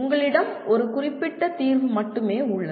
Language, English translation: Tamil, There is only one particular solution you have